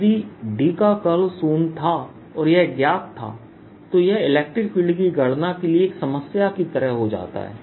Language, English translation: Hindi, if curl of d was zero and it was known, it becomes like a problem of calculating electric field